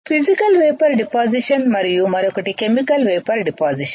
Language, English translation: Telugu, Physical Vapor Deposition and Chemical Vapor Deposition